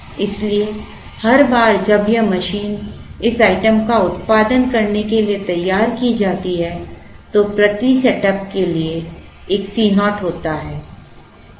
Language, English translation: Hindi, So, every time this machine is setup to produce this item, there is a C naught per setup